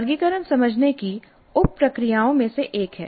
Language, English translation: Hindi, Classify is one of the sub processes of understand